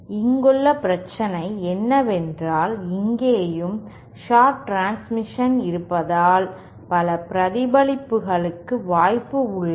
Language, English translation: Tamil, The problem with this is because of the sharp transitions here and here, there is a possibility of multiple reflections